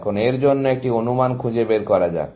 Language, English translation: Bengali, Now, let us find an estimate for this